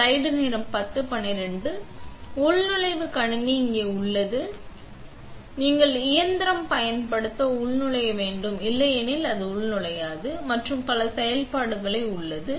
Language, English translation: Tamil, So, the login computer is here, you have to login to use the machine otherwise it will not turn on and the login has a several functions